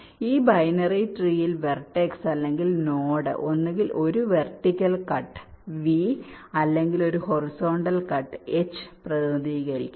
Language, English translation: Malayalam, in this binary tree, the vertex, or a node, represents either a vertical cut, represent by v, or a horizontal cut, represented by h